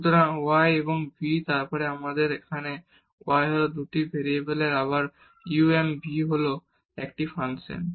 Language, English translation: Bengali, So, u and v and then we have here y is a function of again of 2 variables u and v